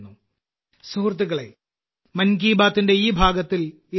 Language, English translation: Malayalam, Friends, that's all with me in this episode of 'Mann Ki Baat'